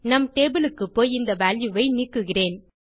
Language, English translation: Tamil, I am going to browse our table and delete this value